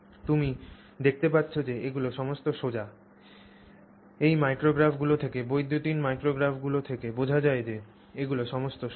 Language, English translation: Bengali, You can see, you know, it's quite evident from these micrographs, electron micrographs, that these are all straight